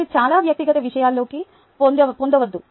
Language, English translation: Telugu, ah, but dont get too personal, right